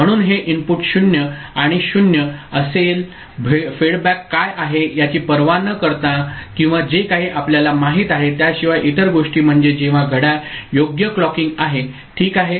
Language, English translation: Marathi, So, this input will be 0 and 0 irrespective of what is fedback or whatever you know, the other things I mean, whenever the clock appropriate clocking is there alright